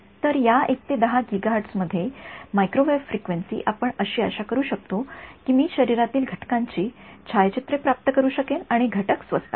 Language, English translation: Marathi, So, microwave frequencies in this 1 to 10 gigahertz we can hope that I can get through and through pictures of the body and components are cheap ok